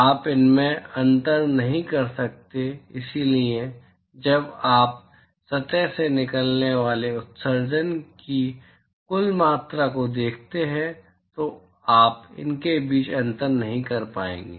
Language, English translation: Hindi, You cannot differentiate between the, so when you look at the total amount of emission that comes out of the surface you will not be able to differentiate between them